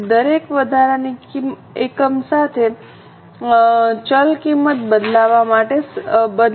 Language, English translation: Gujarati, So, with every extra unit variable cost is set to change